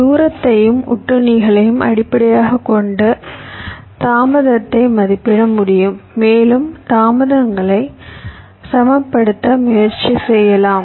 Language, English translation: Tamil, we can estimate the delay based on the distance and the parsitics and you can try to balance the delays right